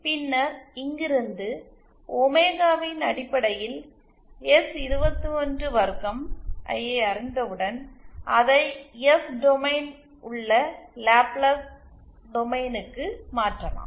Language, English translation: Tamil, And then from here, once we know S212 in terms of omega, we can convert it into Laplace domain that is S domain